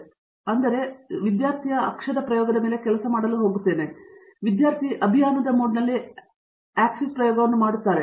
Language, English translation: Kannada, So, they now say OK, now I am going to actually work on a student axis experiment that means, the entire lab works on student axis experiment on a campaign mode